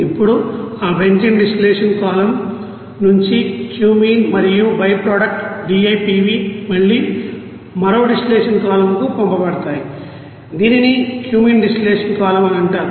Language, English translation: Telugu, Now from that benzene distillation column that Cumene and byproduct DIPV again it will be you know send to another distillation column which will be called as Cumene distillation column